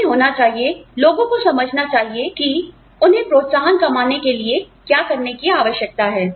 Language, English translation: Hindi, They need to be, people need to understand, what they need to do, in order to, earn an incentive